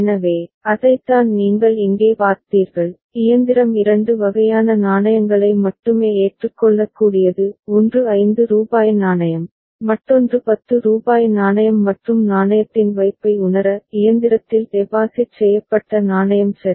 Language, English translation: Tamil, So, that is what you have seen here and the machine is such that it can accept only 2 types of coin; one is that is of rupees 5 coin, another is of rupees 10 coin and to sense the deposit of coin; the coin that is deposited in the machine ok